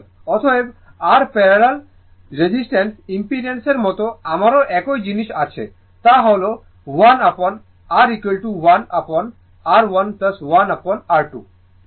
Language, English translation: Bengali, 12 right; therefore, like your parallel resistance impedance I have the same thing we do not know 1 upon r is equal to 1 upon r 1 plus 1 upon r 2